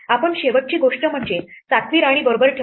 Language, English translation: Marathi, The last thing we did was to put the 7th queen right